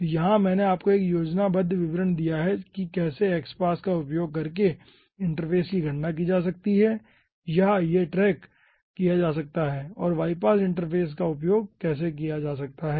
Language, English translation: Hindi, okay, so here i have given you 1 schematic representation how using x pass interface can be aha, ah calculated or tracked and how using y pass interface can be captured